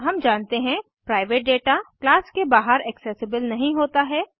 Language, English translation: Hindi, We know, the private data is not accessible outside the class